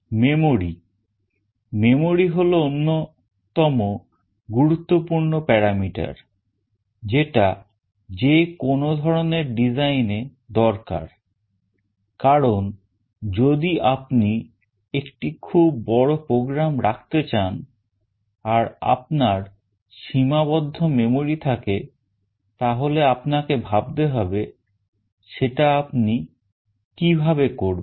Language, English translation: Bengali, The memory; memory is one of the vital important parameter that is required for any design, because if you want to dump a very large program and you have limited memory you need to think how will you do it